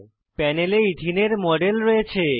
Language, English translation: Bengali, We have a model of Ethene on the panel